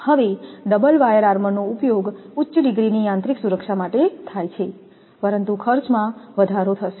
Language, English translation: Gujarati, Now, double wire armors are used for high degree of mechanical protection, but cost will increase